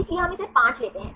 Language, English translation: Hindi, So, we take this 5